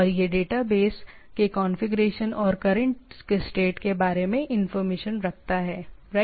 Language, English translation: Hindi, And that maintains information about the configuration and current state of the database, right